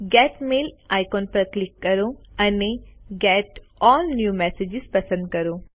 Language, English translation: Gujarati, Click the Get Mail icon and select Get All New Messages